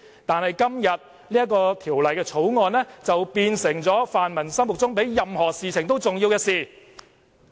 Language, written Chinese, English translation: Cantonese, 但是在今天，《條例草案》卻變成泛民議員心目中比任何事情更重要的事。, But today the Bill becomes the most important issue in the eyes of the pan - democrats